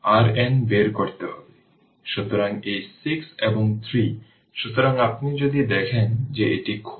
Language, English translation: Bengali, So, so this 6 and 3 right, so if you look into that this is open